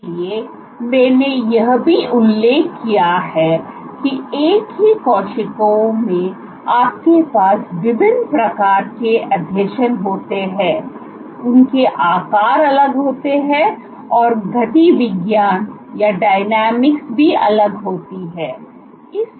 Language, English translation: Hindi, So, I also mentioned that in the same cell you have different types of adhesions, their sizes are different the dynamics is different